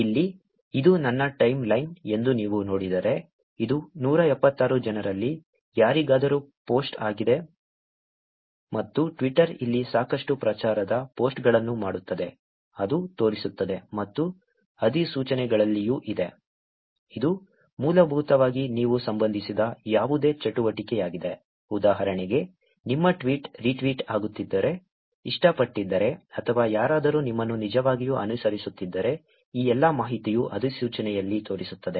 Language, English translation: Kannada, Here, if you see this is my time line, which is post from any of the 176 people and Twitter does a lot of promotional posts also here which shows up and there is also in notifications, which is basically any activity that you are related with, for example, if your tweet is getting retweeted, liked, or if anybody is actually following you, all of this information shows on notification